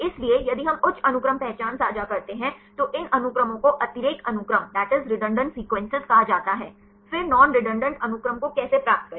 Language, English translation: Hindi, So, if we share high sequence identity then these sequences are called redundant sequences; then how to get the non redundant sequences